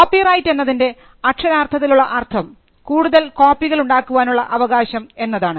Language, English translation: Malayalam, Copyright: Copyright can literally be construed as the right to make further copies